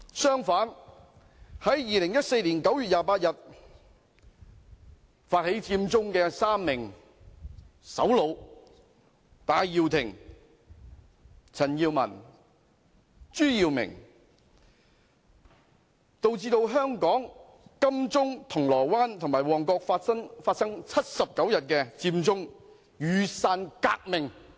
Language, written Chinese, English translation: Cantonese, 相反，在2014年9月28日發起佔中的3名首腦戴耀廷、陳健民及朱耀明導致香港金鐘、銅鑼灣和旺角發生79日的佔中雨傘革命。, On the contrary the three leaders organizing Occupy Central on 28 September 2014 Benny TAI CHAN Kin - man and CHU Yiu - ming led to the 79 - day Occupy Central Umbrella Revolution in Admiralty Causeway Bay and Mong Kok